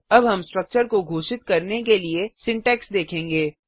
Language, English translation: Hindi, Now we will see how to declare a structure variable